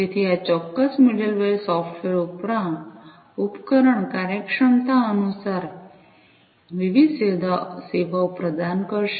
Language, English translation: Gujarati, So, this particular middleware software will provide different services according to the device functionalities